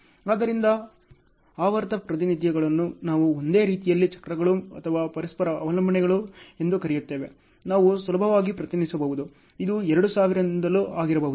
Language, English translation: Kannada, So, the cyclic representations in a way, we call it a cycles or interdependencies they were we could easily represent, this happened maybe since 2000 and so on